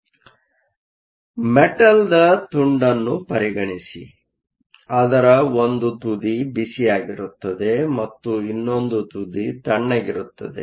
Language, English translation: Kannada, So, consider a piece of metal, one end of it is hot and the other end of it is cold